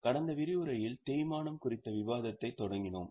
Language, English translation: Tamil, Then in the last session we had started discussion on depreciation